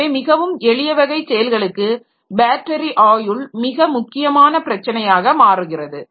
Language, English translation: Tamil, So, very simple type of operations and there the battery life becomes a very important issue